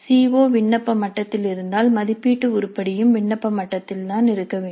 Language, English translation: Tamil, If the CO is at apply level the assessment item also should be at apply level